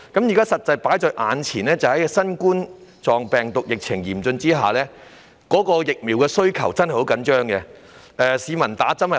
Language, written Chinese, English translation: Cantonese, 現時新冠狀病毒疫情嚴峻，流感疫苗的供應真的十分緊絀，市民難以接種。, At present the Coronavirus Disease epidemic is severe but given the tight supply of influenza vaccines the public can hardly receive vaccination